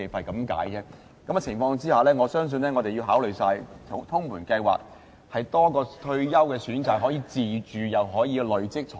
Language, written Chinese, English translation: Cantonese, 在這種情況下，我相信我們要考慮通盤計劃，增設多一個退休選擇，讓市民既可以有樓宇自住，又可以累積財富。, For all these reasons I think we must draw up a holistic plan which can offer one more option of retirement protection and which can enable people to purchase their own homes and accumulate wealth at the same time